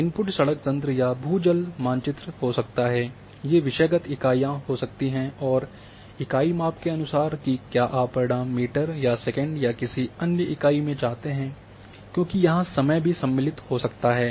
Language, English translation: Hindi, Input may be a map of roads road network may be a groundwater well may be a thematic units, and unit of measurements that whether these you want results in meters or seconds or whatever because time may be involve here